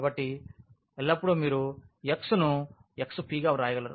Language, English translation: Telugu, So, always you will have that this our x we can write down x p